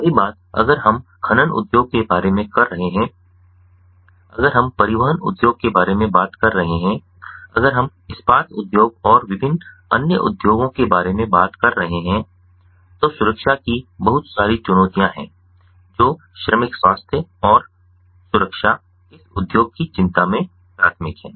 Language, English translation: Hindi, ah, the transportation industry, if we are talking about ah, the steel industry, ah and different other industries, there are lot of safety challenges, ah that are there, and so workers health and safety are of primary concern in these industry